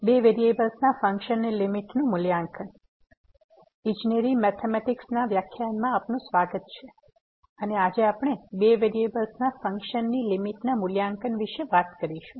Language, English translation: Gujarati, So, welcome back to the lectures on Engineering Mathematics I and today, we will be talking about Evaluation of Limit of Functions of two variables